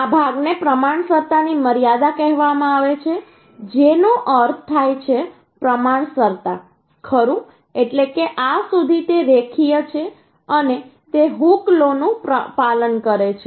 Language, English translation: Gujarati, that means proportionality, right, that means up to this, it is linear and it obeys the hooks law